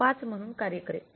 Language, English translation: Marathi, 5 so that is not same